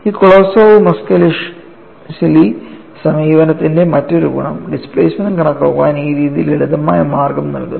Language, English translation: Malayalam, And another advantage of this Kolosov Muskhelishvili approach is, this method provides a simpler way to calculate the displacement